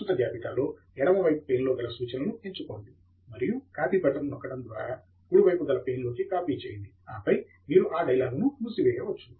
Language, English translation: Telugu, Select and copy all the references from the left hand side pane to the right hand side in the current list by clicking the Copy button, and then, you can close the dialogue